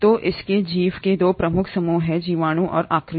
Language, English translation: Hindi, So it has 2 major groups of organisms, the bacteria and the Archaea